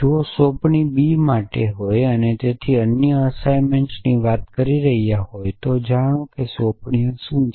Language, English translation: Gujarati, If for assignment B so we are talking of other assignment know what are assignments